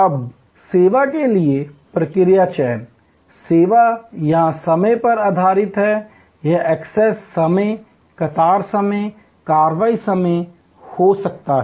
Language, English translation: Hindi, Now, process selection for service, service is based on time here, it can be access time, queue time, action time